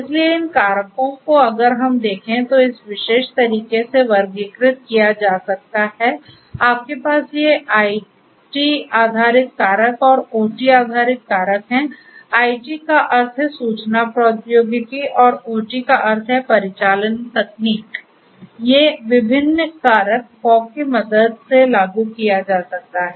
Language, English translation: Hindi, So, these factors if we look at can be classified in this particular manner, you have these IT based factors and the OT based factors, IT means information technology and OT means operational technology, these different factors with the help of fog can be implemented right